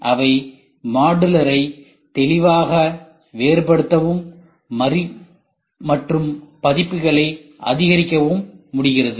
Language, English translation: Tamil, So, they are able to clearly distinguish modular and increase the versions